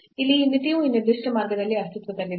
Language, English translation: Kannada, So, here this limit does not exist along this particular path itself